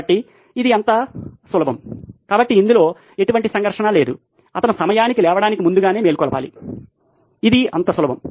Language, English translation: Telugu, So this is as simple as that, so there is no conflict in this he just has to wake up early to be on time that is as simple as that